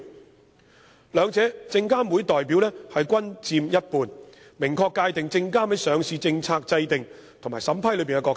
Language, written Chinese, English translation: Cantonese, 在兩者中，證監會的代表均佔一半，明確界定證監會在上市政策制訂及審批中的角色。, And SFCs representatives will account for 50 % of the respective memberships of the two committees and its roles of formulating listing policies and also vetting and approval are clearly defined